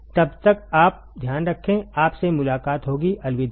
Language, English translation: Hindi, Till then you take care, I will see you next module, bye